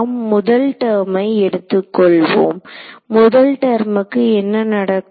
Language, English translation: Tamil, So, what happens of we will just take the first term, what happens of the first term